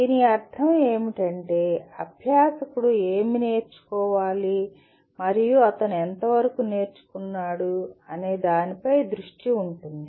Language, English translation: Telugu, What it means is, the focus is on what the learner should learn and to what extent he has learnt